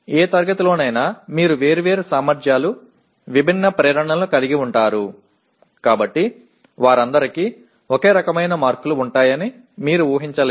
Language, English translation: Telugu, This has a justification that in any class you have students of different abilities, different motivations, so you cannot expect all of them to have roughly the same kind of marks